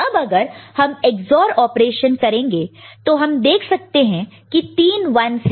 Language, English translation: Hindi, Now if you do the Ex ORing operation you can see 1 1 1; three 1s are there